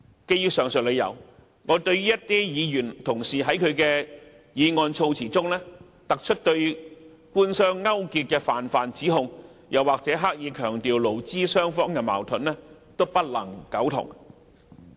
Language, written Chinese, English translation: Cantonese, 基於上述理由，我對於一些議員同事在議案措辭中突出對官商勾結的泛泛指控，或是刻意強調勞資雙方的矛盾，均不能苟同。, For all these reasons I am afraid I cannot agree to the unfounded allegation about government - business collusion and the emphasis on labour disputes highlighted in the wording of the motion